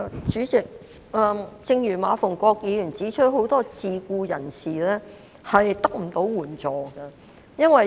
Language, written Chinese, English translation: Cantonese, 主席，正如馬逢國議員指出，很多自僱人士得不到援助。, President as pointed out by Mr MA Fung - kwok many self - employed persons cannot get any assistance